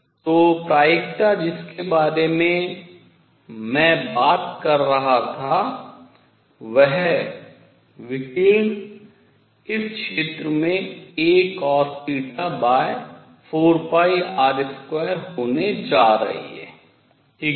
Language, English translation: Hindi, So, the probability that I was talking about that radiation comes into this area is going to a cosine theta divided by 4 pi r square, alright